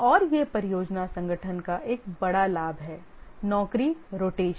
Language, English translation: Hindi, And that's a big advantage of the project organization is the job rotation